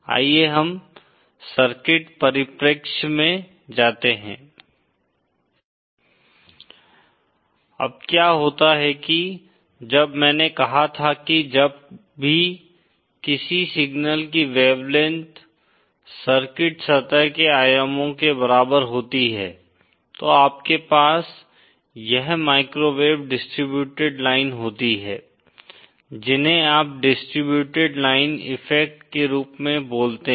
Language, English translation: Hindi, Now, what happens is when I said that whenever a wavelength of a signal is comparable to the dimensions surface the circuit, you have this microwave distributed lines what you call as distributed line effect